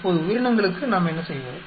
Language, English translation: Tamil, Now for the organisms what do we do